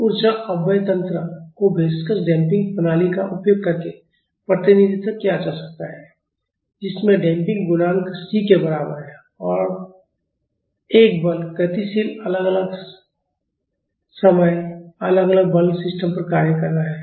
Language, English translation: Hindi, The energy dissipation mechanism can be represented using a viscous damping system with the damping coefficient is equal to c and there will be a force a dynamic time varying force acting on the system